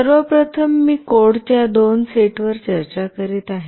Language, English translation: Marathi, First of all, I will be discussing two sets of code